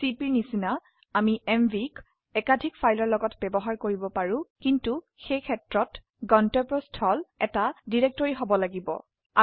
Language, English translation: Assamese, Like cp we can use mv with multiple files but in that case the destination should be a directory